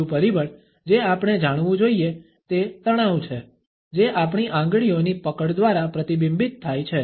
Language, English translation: Gujarati, Another aspect we have to be aware of is the tension which is reflected through the grip in our fingers